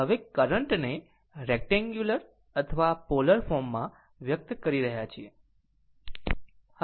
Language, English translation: Gujarati, So now, expressing the current in rectangular or polar form right